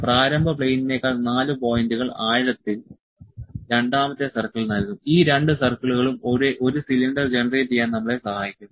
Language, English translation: Malayalam, Another 4 points at it will depth than the initial plane would give the second circle, these two circles would help us to generate a cylinder